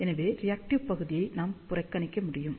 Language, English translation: Tamil, So, we can neglect the reactive part